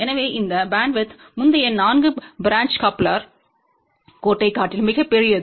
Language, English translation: Tamil, So, this bandwidth is much larger than even the earlier 4 branch line coupler